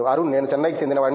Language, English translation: Telugu, I am from Chennai